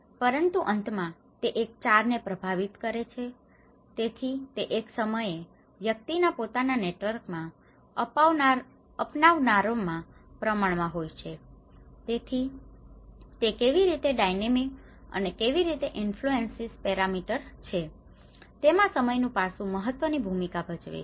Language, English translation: Gujarati, But then finally, it has influenced one , so it is the exposure in the proportion of adopters in an individual persons network at a point of time so, the time aspect plays an important role, how it is dynamic and how it is influencing parameters